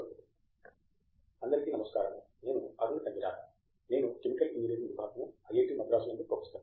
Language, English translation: Telugu, Hi, I am Arun Tangirala, I am a professor in the Department of Chemical Engineering at IIT Madras